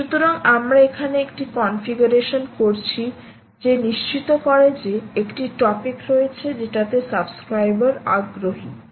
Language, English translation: Bengali, so we are doing a configuration here to ensure that there is a topic to which the subscriber is interested in